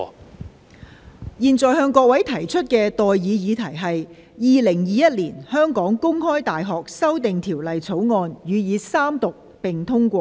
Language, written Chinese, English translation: Cantonese, 我現在向各位提出的待議議題是：《2021年香港公開大學條例草案》予以三讀並通過。, I now propose the question to you and that is That The Open University of Hong Kong Amendment Bill 2021 be read the Third time and do pass